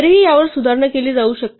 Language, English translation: Marathi, But even this can be improved upon